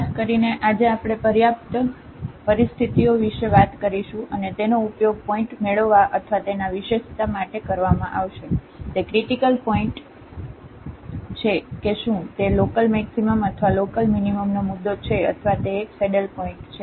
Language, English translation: Gujarati, In particular today we will be talking about the sufficient conditions and that will be used for getting the or characterizing the point, the critical points whether it is a point of local maximum or local minimum or it is a saddle point